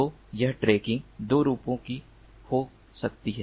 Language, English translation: Hindi, so this tracking can be of two forms